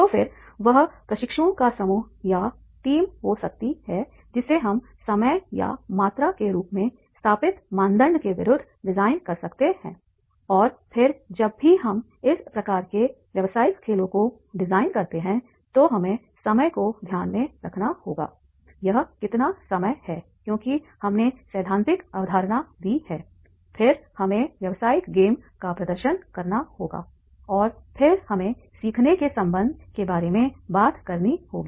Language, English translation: Hindi, So then that can be the group of our team of the trainees that we can design or against an established criteria such as time or quantity and then whenever we design this type of the business games so we have to keep in mind the time that is about how much time because we have given the theoretical concept then we have to demonstrate the business game and then we have to talk about the lessons of learning